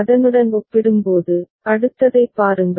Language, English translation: Tamil, Compared to that, see the next one